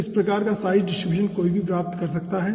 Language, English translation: Hindi, okay, so this type of size distribution one can obtain right